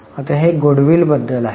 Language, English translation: Marathi, Now this is about the goodwill